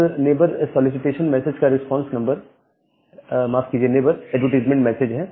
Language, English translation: Hindi, Now this response to the neighbor solicitation message is the neighbor advertisement message